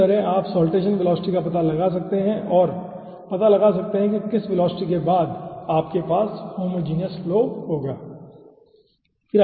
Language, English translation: Hindi, okay, so in this way you can find out the saltation velocity and find out after which velocity you will be having homogenous flow